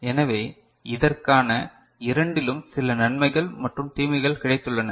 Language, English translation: Tamil, So, for which we have got certain advantages and disadvantages of both